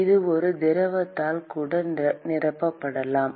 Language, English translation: Tamil, It could even be filled with a liquid